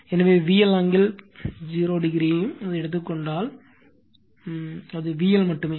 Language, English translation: Tamil, So, if you take V L angle 0 also, it will be V L only right